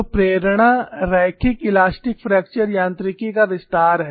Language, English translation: Hindi, So, the motivation is extension of linear elastic fracture mechanics